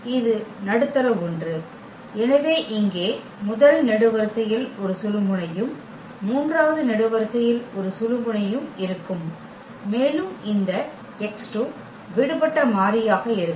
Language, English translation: Tamil, And this middle one so, here the first column will have a pivot and the third column has a pivot and this x 2 is going to be the free variable